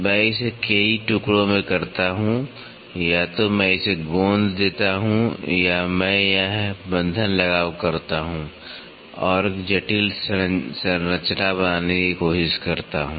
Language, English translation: Hindi, I do it in multiple pieces either I glue it or I do this fastening attachment and try to make a complex structure